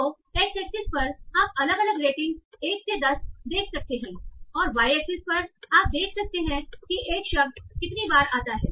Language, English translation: Hindi, So on x axis you can see different ratings 1 to 10 and on y axis you can see the count